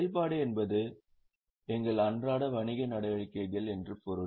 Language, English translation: Tamil, Operating means something related to day to day activities